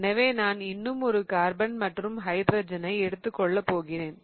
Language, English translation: Tamil, So, I'm going to take one more carbon and hydrogen